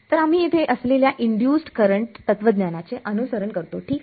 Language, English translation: Marathi, So, we follow the induced current philosophy over here ok